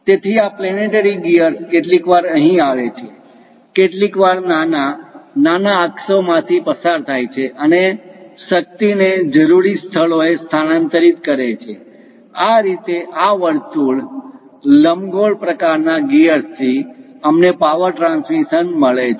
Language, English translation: Gujarati, So, this planetary gear sometimes comes here, sometimes goes up through major, minor axis and transmit the power to the required locations; this is the way we get a power transmission from this circular, elliptical kind of gears